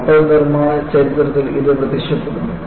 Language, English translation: Malayalam, It appears in the history of ship building